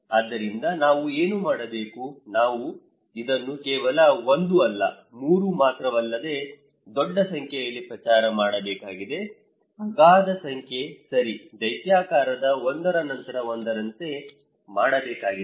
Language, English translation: Kannada, So, what we should do; we need to promote this one not only 1, not only 3 but a huge number; enormous number okay, gigantic, one after one other